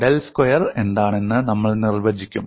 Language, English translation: Malayalam, And we will define what del square is